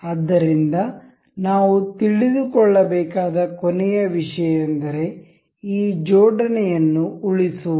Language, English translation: Kannada, So, one last thing that we need to know is to for saving of these assembly